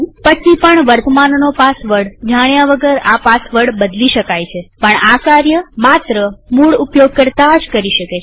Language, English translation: Gujarati, Then also the password can be changed without knowing the current password, but that can only be done by the root user